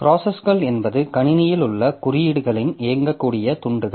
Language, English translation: Tamil, So, processes are the executable fragments of codes that we have in the system